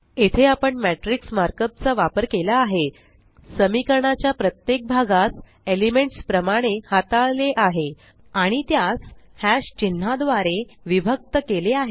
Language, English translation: Marathi, Here, we have used the matrix mark up, treated each part of the equation as an element and separated them by # symbols